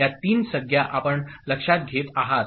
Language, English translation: Marathi, These three terms you take note of